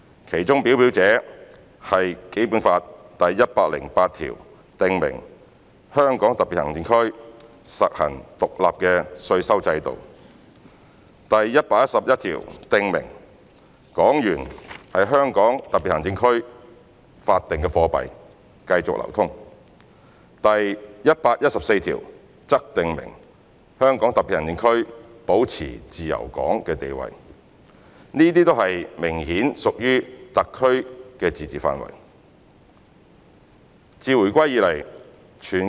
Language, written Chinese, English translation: Cantonese, 其中表表者是《基本法》第一百零八條訂明"香港特別行政區實行獨立的稅收制度"，第一百一十一條訂明"港元為香港特別行政區法定貨幣，繼續流通"，第一百一十四條則訂明"香港特別行政區保持自由港地位"，這些則明顯屬於特區的自治範圍。, The most representative ones include Article 108 of the Basic Law which stipulates that the Hong Kong Special Administrative Region shall practise an independent taxation system; Article 111 which stipulates that the Hong Kong dollar as the legal tender in the Hong Kong Special Administrative Region shall continue to circulate; and Article 114 which stipulates that the Hong Kong Special Administrative Region shall maintain the status of a free port